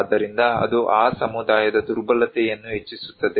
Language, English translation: Kannada, So, it can also increase the vulnerability of that community